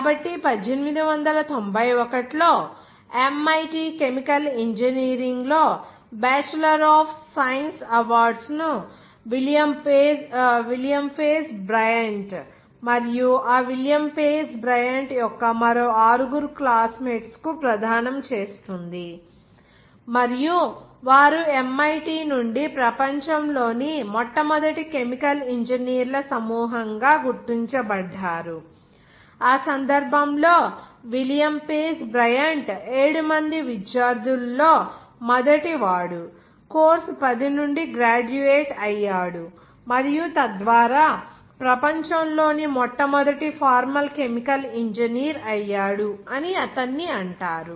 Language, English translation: Telugu, So in 1891, MIT awards the bachelors of science in chemical engineering to William Page Bryant and six other classmates of that William Page Bryant, and they were recognized world’s first chemical engineers group from MIT in that case William Page Bryant was the first of 7 students to graduate from course 10